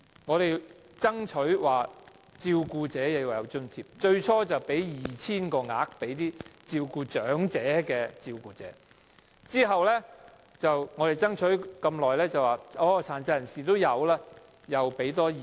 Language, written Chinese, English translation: Cantonese, 我們爭取向照顧者提供津貼，最初政府向 2,000 名長者照顧者提供津貼，在我們爭取很久後，政府再向 2,000 名殘疾人士照顧者提供津貼。, We have been striving for the provision of subsidies to carers and the Government has initially provided subsidies to 2 000 carers of elderly persons . After a long fight the Government will also provide subsidies to 2 000 carers of persons with disabilities